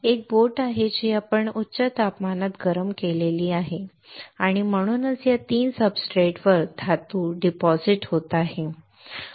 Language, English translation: Marathi, There is a boat which we have heated at high temperature and that is why the metal is getting deposited onto these 3 substrates